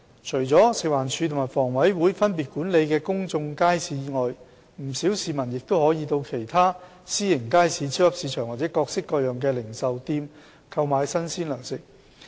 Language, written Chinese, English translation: Cantonese, 除了食物環境衞生署和房委會分別管理的公眾街市外，不少市民亦可以到其他私營街市、超級市場或各式各樣的零售店購買新鮮糧食。, Apart from public markets under the management of the Food and Environmental Hygiene Department FEHD and the Housing Authority HA respectively many people may purchase fresh provisions in other private markets supermarkets or various types of retail outlets